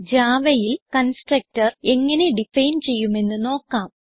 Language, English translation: Malayalam, Let us now see how constructor is defined in java